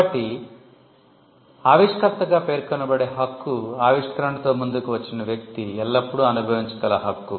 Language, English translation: Telugu, So, the right to be mentioned as an inventor is a right that the person who came up with the invention enjoys